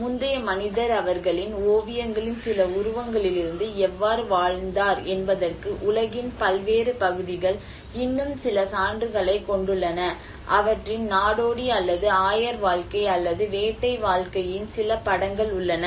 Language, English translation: Tamil, And different parts of the world still carry some evidences that how the earlier man have lived and some images of their paintings, there have been some images of their nomadic or pastoral life or hunting life you know